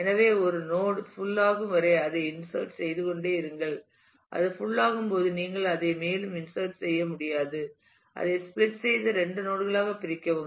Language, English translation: Tamil, So, you keep on inserting in a node till it becomes full, when it becomes full you cannot insert any more you divide it and split it into two nodes